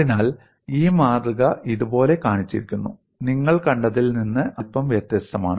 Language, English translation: Malayalam, So, the specimen is shown like this, slightly different from what we had seen